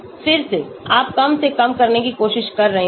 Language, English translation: Hindi, Again, you are trying to minimize